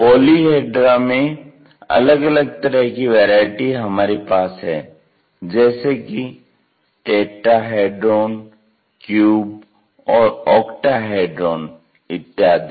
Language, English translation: Hindi, In polyhedra we have different varieties like tetrahedron, cubes, and octahedron